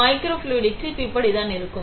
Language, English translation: Tamil, So, this is how microfluidic chip looks like